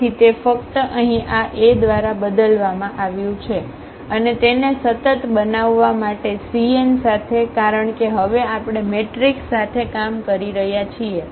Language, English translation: Gujarati, So, it is just the lambda is replaced by this A here and with the c n to make it consistent because, now we are working with the matrices